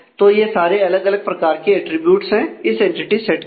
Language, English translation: Hindi, So, those are the different attributes for this entity set